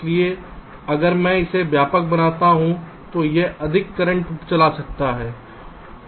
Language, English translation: Hindi, so if i make it wider, it can drive more current